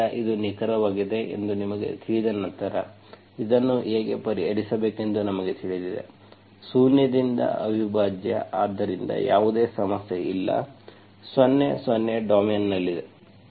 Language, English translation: Kannada, So once you know that it is an exact, you know how to solve this, an integral from zero, so there is no issue, 0, 0 is in the domain